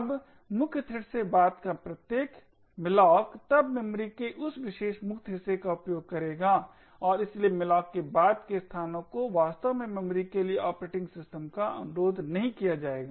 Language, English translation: Hindi, Now every subsequent malloc from the main thread would then utilise this particular free part of memory and therefore subsequent locations to malloc would not be actually requesting the operating system for the memory